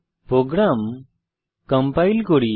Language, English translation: Bengali, Let us compile the program